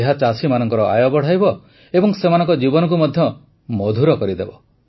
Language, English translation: Odia, This will lead to an increase in the income of the farmers too and will also sweeten their lives